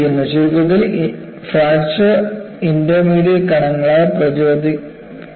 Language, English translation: Malayalam, And in essence, fracture is induced by intermediate particles